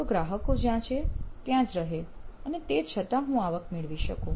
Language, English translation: Gujarati, So they can be where they are and still I should be able to get revenue